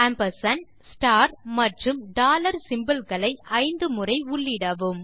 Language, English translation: Tamil, Enter the symbols ampersand, star and dollar 5 times